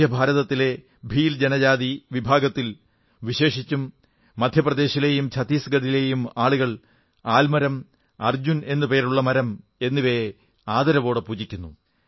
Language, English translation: Malayalam, The Bhil tribes of Central India and specially those in Madhya Pradesh and Chhattisgarh worship Peepal and Arjun trees religiously